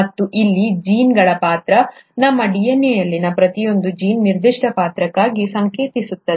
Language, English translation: Kannada, And this is where the role of genes, each gene in our DNA codes for a certain character